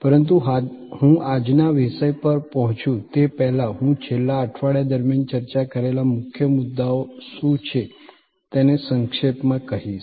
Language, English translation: Gujarati, But, before I get one to today’s topic, I will do a little recap of what are the main points that we discussed during the last week